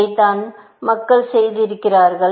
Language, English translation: Tamil, This is what people have done